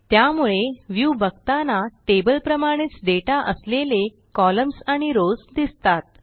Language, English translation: Marathi, So, when viewed, it has columns and rows of data just like a table